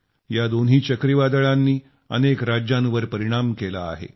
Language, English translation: Marathi, Both these cyclones affected a number of States